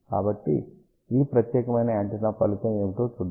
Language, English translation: Telugu, Let us see the result of this particular antenna